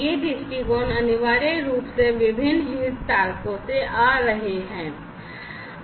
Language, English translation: Hindi, So, these viewpoints are essentially coming from these different stakeholders